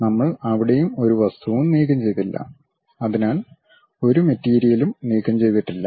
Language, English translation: Malayalam, And we did not remove any material there; so there is no material removed